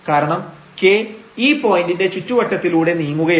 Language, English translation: Malayalam, So, this k we are moving in the direction of